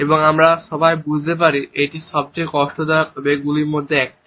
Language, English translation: Bengali, And as all of us understand it is one of the most distressing emotions